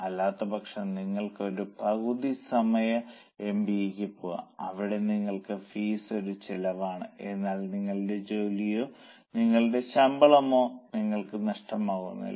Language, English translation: Malayalam, Otherwise, maybe you can go for a part time MBA where your fees is a cost but you are not losing on your job or on your salary